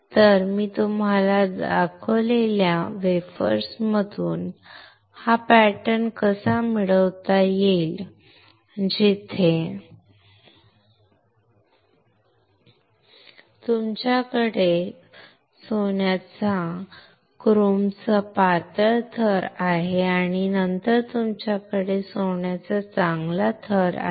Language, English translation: Marathi, So, how can we get this pattern from the wafer that I have shown it to you, where you have a thin layer of gold chrome and then you have a good layer of gold